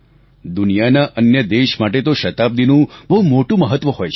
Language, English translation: Gujarati, For other countries of the world, a century may be of immense significance